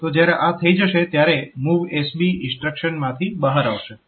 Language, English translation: Gujarati, So, when it is done then it will come out of this MOVSB instruction